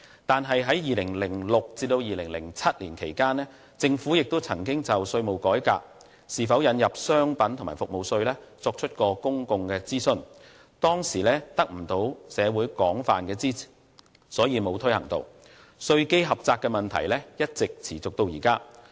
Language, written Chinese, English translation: Cantonese, 但是，在2006年至2007年間，政府亦曾就是否引入商品及服務稅，作出公眾諮詢，當時未能得到社會廣泛支持，所以沒有推行，以致稅基狹窄問題一直持續至今。, This proposal is worth our support . That said the Government conducted a public consultation on tax reform and the introduction of a goods and services tax between 2006 and 2007 but the consultation showed that the subjects failed to secure an extensive consensus in society at that time